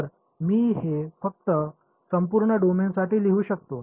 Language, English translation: Marathi, So, I may as well just write it for the entire domain